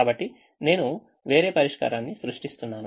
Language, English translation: Telugu, so i am just creating a different solution